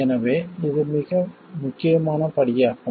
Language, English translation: Tamil, So, this is a very important step